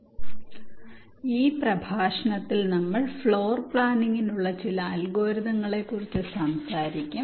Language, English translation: Malayalam, so in this lecture we shall be talking about some of the algorithms for floor planning